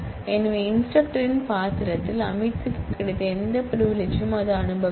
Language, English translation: Tamil, So, any privilege that the instructor role has Amit will enjoy that